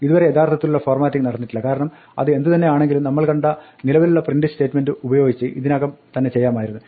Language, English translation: Malayalam, There is no real formatting which has happened because whatever we did with that we could have already done using the existing print statement that we saw